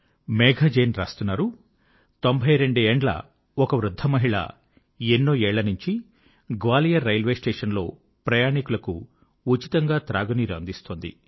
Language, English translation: Telugu, Whereas Megha Jain has mentioned that a 92 year old woman has been offering free drinking water to passengers at Gwalior Railway Station